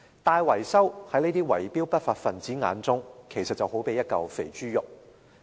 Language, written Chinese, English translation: Cantonese, 大維修在圍標的不法分子眼中，就正如一塊肥豬肉。, To these lawbreakers large - scale maintenance works are as fat as a piece of greasy pork